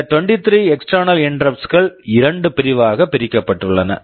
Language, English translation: Tamil, These 23 external interrupts are split into two sections